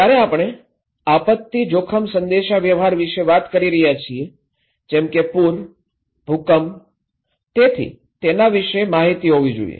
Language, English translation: Gujarati, When we are talking about disaster risk communications, like flood, earthquake, so there should be informations about this